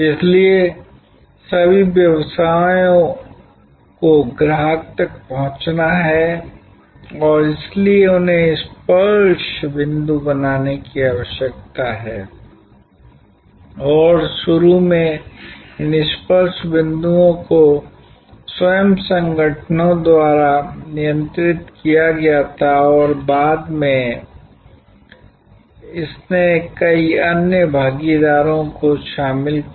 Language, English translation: Hindi, So, all businesses have to reach the customer and therefore, they need to create touch points and initially these touch points were controlled by the organizations themselves and later on it incorporated various other partners